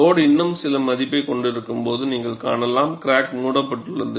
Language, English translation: Tamil, You find when the load is still having some value, the crack is closed